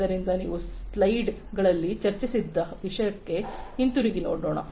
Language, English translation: Kannada, So, let us just go back to what we were discussing in the slides